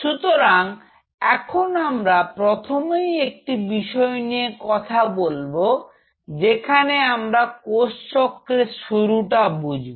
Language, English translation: Bengali, So, let us first of all talk about where we suppose to start is cell cycle